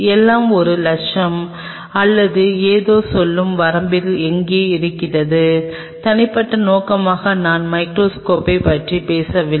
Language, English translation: Tamil, Everything is in somewhere in the range of the say one lakh or something, as individual objective I am not have been talking about the microscope